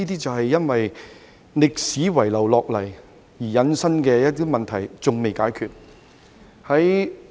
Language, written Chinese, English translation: Cantonese, 這是歷史遺留下來及引申而出的問題，至今尚未解決。, This is a problem left over and arisen from the past and it has not been resolved thus far